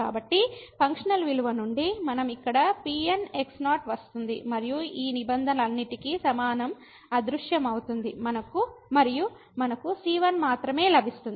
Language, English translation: Telugu, So, from the functional value we will get here and is equal to all these terms will vanish and we will get only